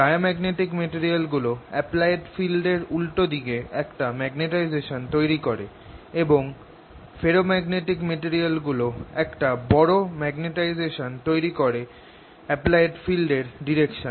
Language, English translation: Bengali, diamagnetic materials: they develop a magnetization opposite to the applied field and ferromagnetic materials develop a large magnetization in the direction of applied field